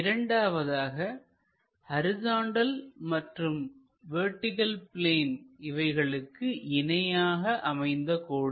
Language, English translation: Tamil, Second one; a line parallel to both vertical plane and horizontal plane